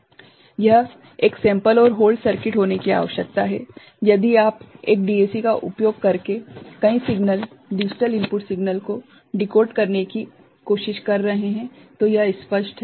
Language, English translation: Hindi, This is the necessity of having a sample and hold circuit, if you are trying to decode multiple signal digital input signal using one DAC, is it clear